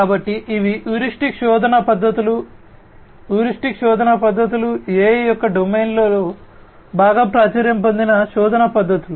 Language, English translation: Telugu, So, these are the heuristic search methods; heuristics search methods are quite popular search methods in the domain of AI